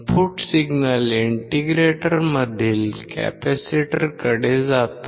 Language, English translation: Marathi, The input signal goes to the capacitor in integrator